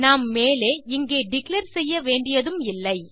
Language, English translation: Tamil, and we need not declare this up here